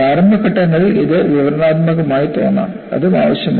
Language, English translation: Malayalam, In the initial phases it may appear to be descriptive, which is also needed